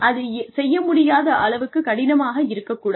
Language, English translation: Tamil, But, it should not be so difficult, that it cannot be done